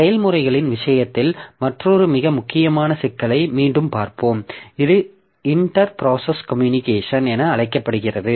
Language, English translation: Tamil, Next we'll be looking into another very important issue in case of processes which is known as inter process communication